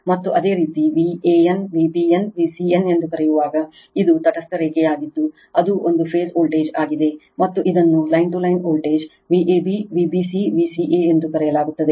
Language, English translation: Kannada, And when you call van V b n, V c n, it is line to neutral that is a phase voltage, and this called line to line voltage V a b, V b c, V c a